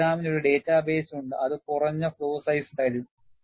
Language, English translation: Malayalam, The program has a database, which provides a minimum flaw sizes